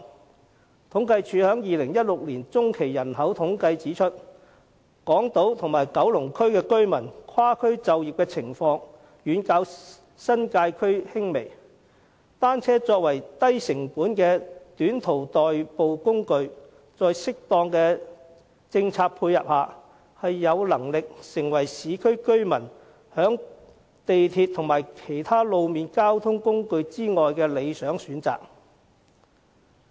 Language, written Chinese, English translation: Cantonese, 政府統計處2016年中期人口統計的結果指出，港島和九龍區居民跨區就業的情況遠較新界區輕微，作為低成本的短途代步工具，在適當的政策配合下，單車有能力成為市區居民在鐵路和其他路面交通工具之外的理想選擇。, According to the results of the 2016 Population By - census of the Census and Statistics Department working across districts is less prominent among residents of Hong Kong Island and Kowloon district than those in the New Territories . With suitable matching policies bicycles are a low - cost mode of transport for short - haul journeys which can be developed into an ideal alternative to railways and other road transport for urban residents